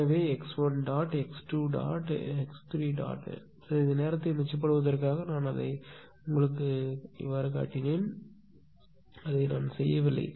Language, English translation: Tamil, So, x 1 dot, x 3 dot, x 2 dot all I showed just to make it right just to save some time I did not do further, but you make ah this thing